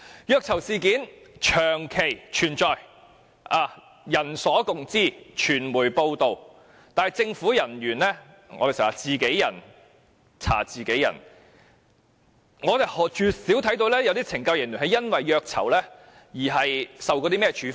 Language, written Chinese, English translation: Cantonese, 虐囚事件長期存在，人所共知，傳媒報道，但政府人員如我們經常說是自己人查自己人，我們絕少看到有懲教署人員因虐囚而受處分。, Torture of prisoners have long existed . This is a fact widely known and extensively reported in the media . However as we frequently point out investigation against government officers are always conducted internally by other fellow officers and rarely do we see any disciplinary action taken against CSD officers for torture of prisoners